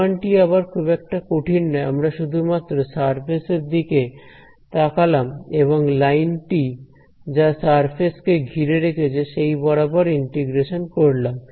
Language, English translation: Bengali, The proof is again not very difficult we just looked at a surface and the line that is around the surface and we did a simple integration right